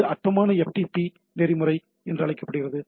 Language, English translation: Tamil, So, it is a for known as trivial FTP protocol